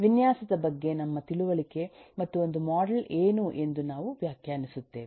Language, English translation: Kannada, we will define what is our understanding of design and that of a model